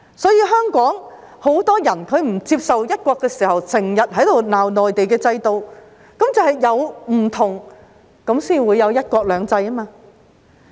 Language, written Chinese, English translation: Cantonese, 香港很多人不接受"一國"，便經常罵內地的制度，其實正是因為有所不同才會有"一國兩制"。, Many people in Hong Kong do not accept one country so they often take pot shots at the Mainlands system but in fact it is because of the difference that there is one country two systems